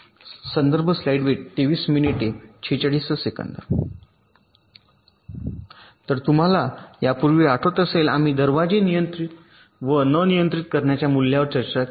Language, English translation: Marathi, ok, so earlier you recall, we discussed the controlling and non controlling values of the gates